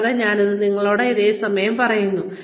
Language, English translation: Malayalam, And, i will say the same thing to you